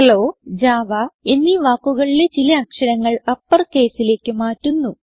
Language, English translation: Malayalam, Im changing a few characters of the word Hello to upper case and of the word java to uppercase